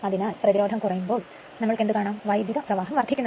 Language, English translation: Malayalam, So, as impedance is getting reduced so current will be higher